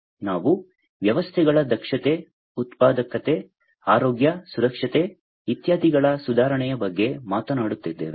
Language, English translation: Kannada, So, we are talking about improvement of efficiency, productivity, health, safety, etcetera of the systems